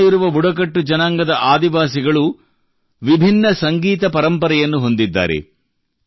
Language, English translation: Kannada, Tribals across the country have different musical traditions